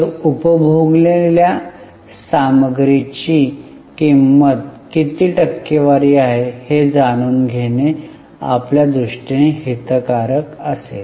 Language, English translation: Marathi, So, it will be of interest for us to know cost of material consumed is what percentage of the revenue